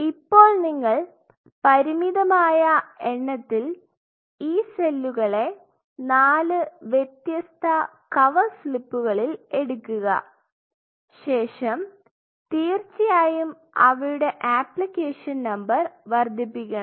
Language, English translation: Malayalam, Now, you culture the cells a finite number of cells using on four different cover slips, you have to of course, increase their application number